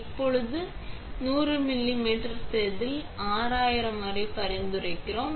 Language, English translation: Tamil, Now we are going to run a 100 millimeter wafer as suggested up to 6000